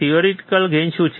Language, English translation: Gujarati, What is theoretical gain